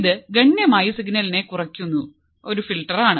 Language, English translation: Malayalam, It is a filter that significantly attenuates